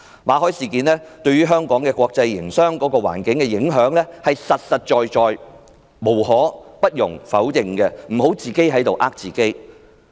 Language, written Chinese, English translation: Cantonese, 馬凱事件對香港國際營商環境的影響是實實在在的不容否認，請他們不要自我欺騙。, It cannot be denied that the Victor MALLET incident has impacted deeply on the business environment of Hong Kong . Self - deception is unwarranted